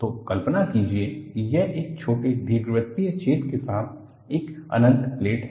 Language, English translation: Hindi, So, imagine that this is an infinite plate with a small elliptical hole